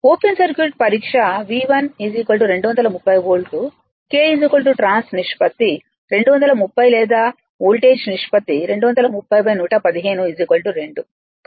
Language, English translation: Telugu, The open circuit test V 1 is equal to 230 volt, K is equal to the trans ratio 230 or voltage ratio 2 by 150 is equal to 2